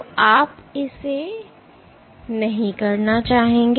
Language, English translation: Hindi, So, you do not want to do it